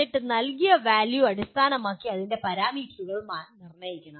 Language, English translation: Malayalam, And then based on the values given you have to determine the parameters of that